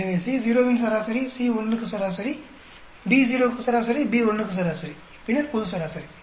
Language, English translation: Tamil, So, we have the average for C naught, average for C1, average for B naught, average for B1, then global average